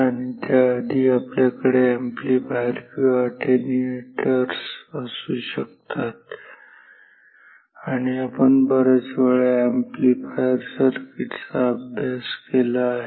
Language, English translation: Marathi, And, we can have amplifiers before that, amplifiers or attenuators and we have studied a lot of amplifier circuits